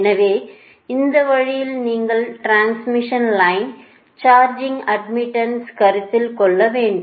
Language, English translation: Tamil, so this way you have to consider the charging admittance for the transmission line